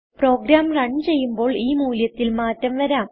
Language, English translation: Malayalam, The values can change when a program runs